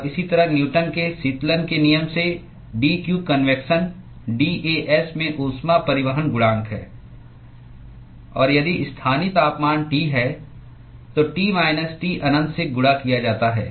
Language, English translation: Hindi, And similarly from Newton’s law of cooling, dq convection is heat transport coefficient into dAs and if the local temperature is T, multiplied by T minus T infinity